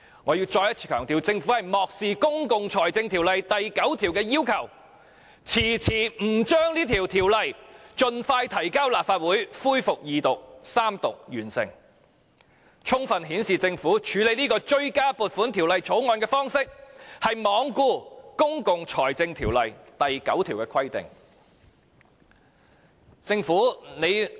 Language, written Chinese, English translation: Cantonese, 我要再一次強調，政府漠視《公共財政條例》第9條的要求，遲遲不將這條例草案盡快提交立法會恢復二讀及三讀，充分顯示政府處理這項追加撥款條例草案的方式，是罔顧《公共財政條例》第9條的規定。, Let me stress once again that the Government has turned a blind eye to the requirement under section 9 of PFO in delaying the introduction of the Bill into the Legislative Council for resumption of the Second Reading debate and Third Reading which should have been done as soon as possible . This fully shows that the Government has neglected the requirement in section 9 of PFO in the way it handled the Bill